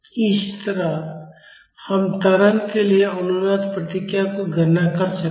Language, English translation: Hindi, Similarly we can calculate the resonance response for acceleration